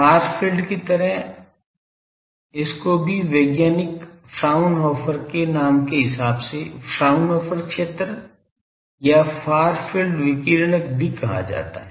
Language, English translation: Hindi, Like far field this is also called Fraunhofer region, against the scientist Fraunhofer or radiating far field